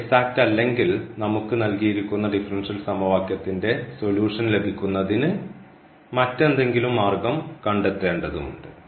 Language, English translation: Malayalam, And if it is not exact then we have to find some other way or to get the solution of the differential equation